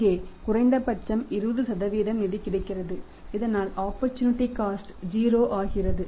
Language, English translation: Tamil, Here also a minimum 20% fund is available so that opportunity cost becomes 0